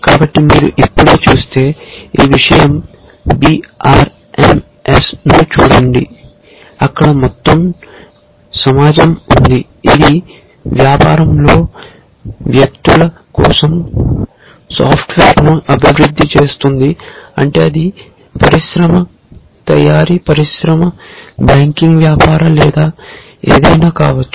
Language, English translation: Telugu, So, if you just look at, look up this thing B R M S, there is a whole community out there which is developing software for people in business meaning it could be industry, manufacturing industry, banking business or anything